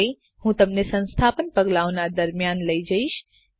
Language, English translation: Gujarati, I shall now walk you through the installation steps